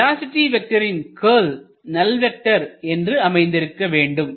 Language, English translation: Tamil, The curl of the velocity vector is a null vector